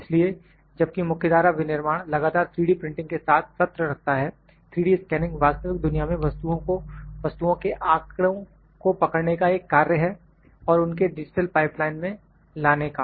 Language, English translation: Hindi, So, while the mainstream manufacturing continuous it is session with 3D printing, 3D scanning is act of capturing data from objects in the real world and bringing them into the digital pipeline